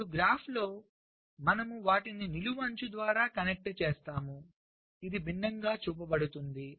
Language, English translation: Telugu, then in the graph i connect them by a vertical edge which is showed differently